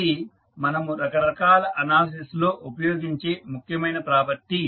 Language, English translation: Telugu, So, this is important property when we use in our various analysis